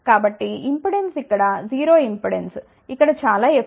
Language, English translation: Telugu, So, impedance is 0 here impedance is very high over here